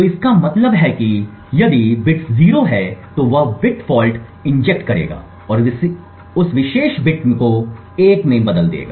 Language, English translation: Hindi, So that means if the bit of a is 0 then he would inject a bit fault and change that particular bit to 1